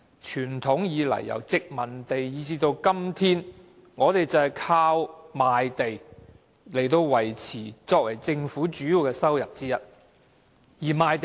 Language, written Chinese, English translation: Cantonese, 傳統以來，由殖民地政府至今天，賣地收入都是政府的主要收入之一。, Conventionally land premium has been one of the major sources of government income since the colonial government